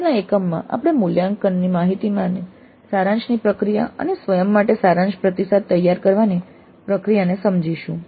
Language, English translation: Gujarati, And in the next unit we will understand the process of summarization of data from all evaluations and the preparation of summary feedback to self